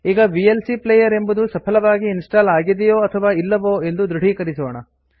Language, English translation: Kannada, Now, let us verify if the vlc player has been successfully installed